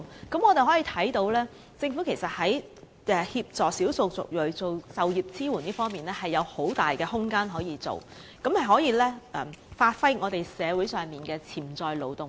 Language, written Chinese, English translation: Cantonese, 由此可見，政府在協助少數族裔就業方面的工作其實仍有很大空間，以發揮社會上的潛在勞動力。, It is thus evident that there is still much room for the Government to help the ethnic minorities in respect of employment as a way of unleashing the potential of the labour force in the community